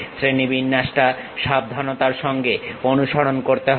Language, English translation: Bengali, The hierarchy has to be carefully followed